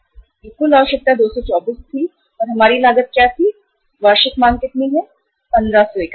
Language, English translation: Hindi, This was the total requirement 224 and what was the uh our our cost, annual demand is how much, 1500 units